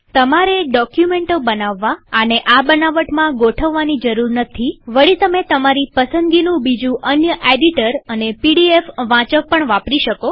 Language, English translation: Gujarati, You do not need to arrange them in this fashion to create documents however, please also note that you can use any other editor and pdf reader of your choice